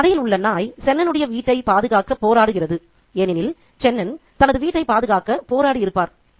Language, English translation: Tamil, The dog here fights to protect the home for Chenin as Chenin would have fought to protect his home